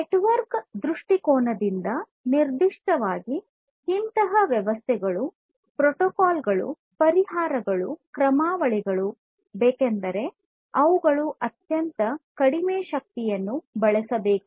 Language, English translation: Kannada, So, from a network point of view specifically we need systems, we need protocols, we need solutions, we need algorithms, which will be consuming extremely low energy